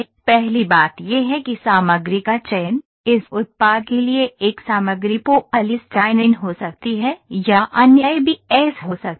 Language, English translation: Hindi, First thing is selection of material, one material for this product could be polystyrene or other could be ABS